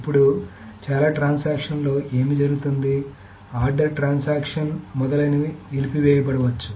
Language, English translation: Telugu, Now, what happens in most transactions, it may happen that the order, the transaction may abort, etc